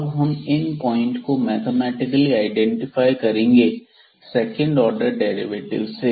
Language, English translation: Hindi, So, now mathematically we will identify all these points with the help of the second order derivatives